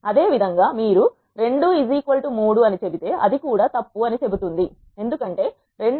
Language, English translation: Telugu, Similarly if you say 2 is equal to 3 it will also say false because 2 is not equal to 3